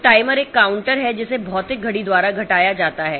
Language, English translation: Hindi, So, timer is a counter that is decremented by the physical clock